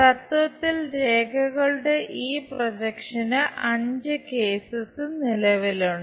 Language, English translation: Malayalam, In principle five cases exist for this projection of lines